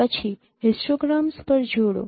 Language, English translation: Gujarati, Then you concatenate the histograms